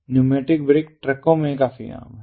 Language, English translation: Hindi, so pneumatic brakes are quite common